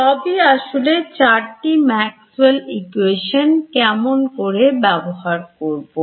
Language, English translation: Bengali, So, all basically those four Maxwell’s equations, how you treat them